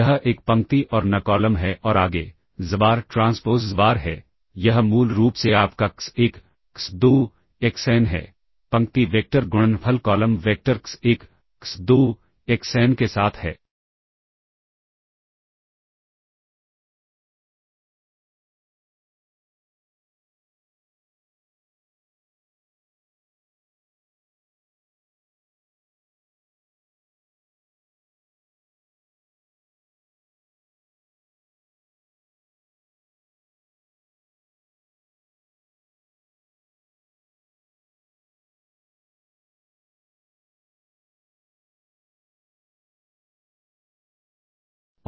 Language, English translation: Hindi, That is 1 row and n columns and further, xbar transpose xbar, this is basically your x1, x2, xn, the row vector times the product with the column vector x1, x2, xn